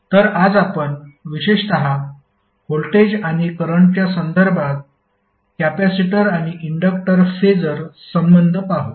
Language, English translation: Marathi, So today we will see particularly the capacitor and inductor Phasor relationship with respect to voltage and current